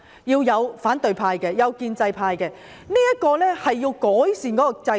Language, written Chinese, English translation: Cantonese, 要有建制派議員，亦要有反對派議員，從而改善制度。, There should be Members from the pro - establishment camp and those from the opposition camp as well so as to make improvement to the system